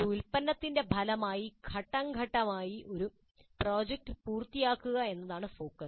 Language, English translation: Malayalam, The focus is completion of a project in a phase manner resulting in a product